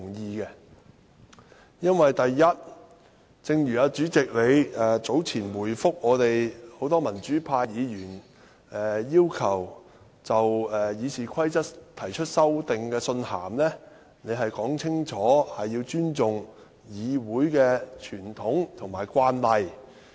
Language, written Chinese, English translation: Cantonese, 第一，因為正如主席早前回覆很多民主派議員要求就《議事規則》提出修訂的信函清楚說出，要尊重議會的傳統和慣例。, First as clearly stated in the Presidents reply to many pro - democracy Members request for amending the Rules of Procedures the tradition and practices of the Council should be respected